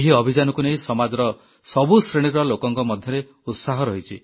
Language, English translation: Odia, This campaign has enthused people from all strata of society